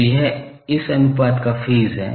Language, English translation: Hindi, So, this is the phase of this ratio